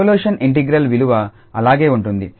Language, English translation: Telugu, The value of the convolution integral will remain the same